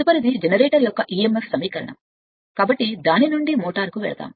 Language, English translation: Telugu, Next is emf equation of a generator, so from that we will move to motor